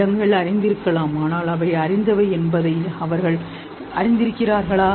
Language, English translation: Tamil, Animals may be aware but are they aware that they are aware